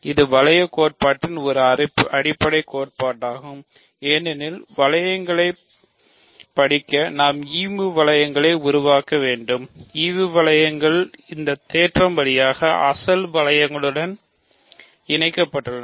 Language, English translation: Tamil, This is a fundamental theorem in ring theory because in order to study rings we need to construct quotient rings and quotient rings are connected to the original rings via this theorem